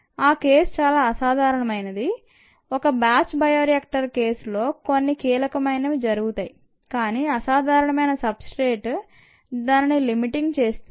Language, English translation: Telugu, this cases rather uncommon in the case of a batch, a bioreactor, and can happen when some crucial but unusual substrate becomes limiting